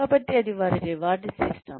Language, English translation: Telugu, So, that is a reward system